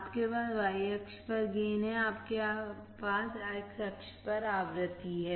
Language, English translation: Hindi, You have gain on y axis; you have frequency on x axis